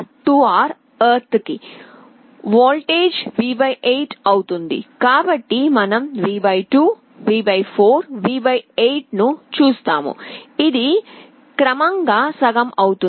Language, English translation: Telugu, So, you see V / 2, V / 4, V / 8; it is progressively becoming half